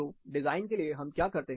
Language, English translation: Hindi, So, what do we do, in terms of design